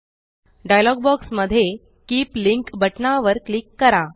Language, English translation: Marathi, In the dialog box that appears, click on Keep Link button